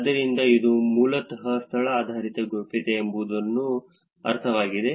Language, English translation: Kannada, So, that is basically a sense of what location based privacy is